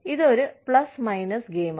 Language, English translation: Malayalam, It is a plus minus game